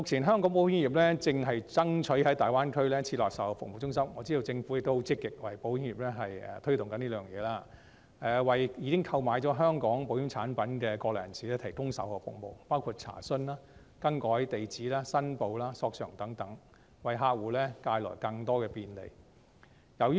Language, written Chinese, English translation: Cantonese, 香港保險業目前正爭取在大灣區設立售後服務中心，我知道政府亦很積極地為保險業推動，為已經購買香港保險產品的國內人士提供售後服務，包括查詢、更改地址、申報、索償等，為客戶帶來更多便利。, The insurance industry of Hong Kong is currently pushing for the establishment of an after - sales service centre in the Greater Bay Area . I know that the Government on behalf of the insurance industry is also actively pushing for the provision of after - sales services to Mainlanders who have already purchased Hong Kong insurance products thus offering more convenience to customers with such services as enquiries change of address declaration and claims settlement